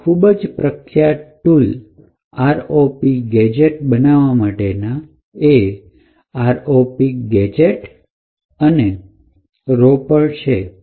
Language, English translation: Gujarati, So, some quite famous tools which we have used is this ROP gadget and Ropper